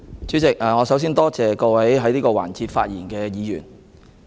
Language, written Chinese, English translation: Cantonese, 主席，我首先多謝各位在這環節發言的議員。, President first of all I would like to thank Members for speaking in this session